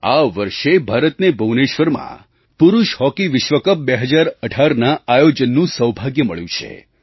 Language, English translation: Gujarati, This year also, we have been fortunate to be the hosts of the Men's Hockey World Cup 2018 in Bhubaneshwar